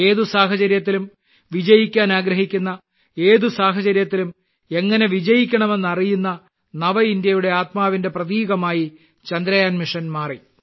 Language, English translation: Malayalam, Mission Chandrayaan has become a symbol of the spirit of New India, which wants to ensure victory, and also knows how to win in any situation